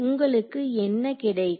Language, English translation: Tamil, What do you get